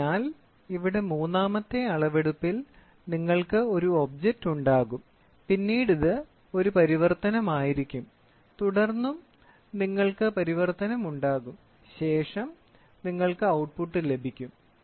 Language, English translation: Malayalam, So, here in ternary measurement, we will have an object, then this will be a translation, then you will have translation and then you will have output or observers eye